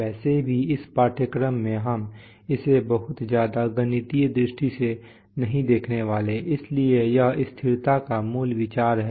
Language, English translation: Hindi, In this course we are not going to have a very mathematical look anyway, so that is the basic idea of stability